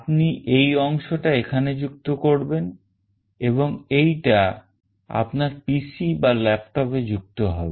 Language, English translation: Bengali, You will be connecting this part here and this will be connected to your PC or laptop